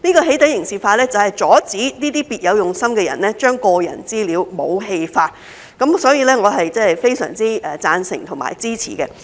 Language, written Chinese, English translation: Cantonese, "起底"刑事化，就是阻止那些別有用心的人將個人資料武器化，所以，我是非常贊成和支持的。, Criminalization of doxxing is to stop those who have ulterior motives from weaponizing personal data and thus I strongly agree to and support this exercise . This amendment to the legislation has stipulated the offences against doxxing acts